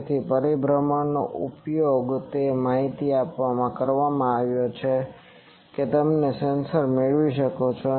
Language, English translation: Gujarati, So, what rotation was used to give that information you can get from the sensors